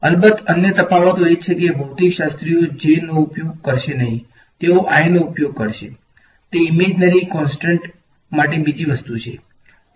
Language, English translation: Gujarati, Of course, another differences that are physicists will not use a j they will use i, that is another thing for the imaginary constant ah